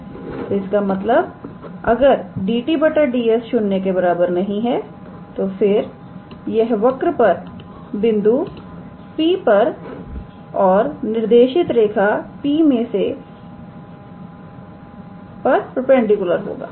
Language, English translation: Hindi, So; that means, if dt ds is not 0 then it is perpendicular to the curve at the point P and a directed line through P